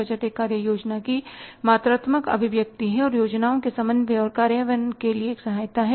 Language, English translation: Hindi, The budget is a quantity to the expression of a plan of action and is an aid to coordinating and implementing the plans